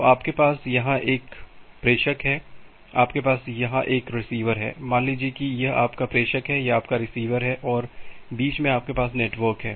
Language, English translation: Hindi, So, you have a sender here, you have a receiver here; say this is your sender, this is your receiver and in between you have the network